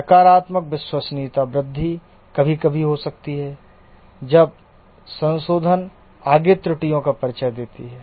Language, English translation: Hindi, Negative reliability growth may occur sometimes when the repair introduces further errors